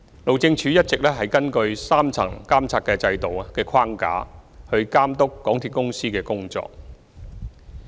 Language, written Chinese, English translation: Cantonese, 路政署一直根據3層監察制度的框架，監督港鐵公司的工作。, HyD has all along worked under a three - tiered monitoring mechanism to monitor the work of MTRCL